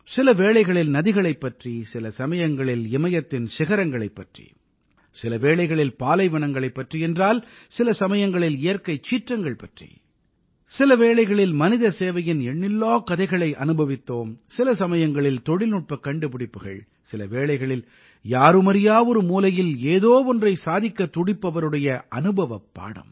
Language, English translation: Tamil, At times, there was reference to rivers; at other times the peaks of the Himalayas were touched upon…sometimes matters pertaining to deserts; at other times taking up natural disasters…sometimes soaking in innumerable stories on service to humanity…in some, inventions in technology; in others, the story of an experience of doing something novel in an unknown corner